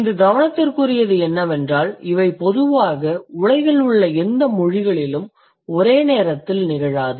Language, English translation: Tamil, So, the concern here is that both the things they generally do not occur simultaneously in any of the languages in the world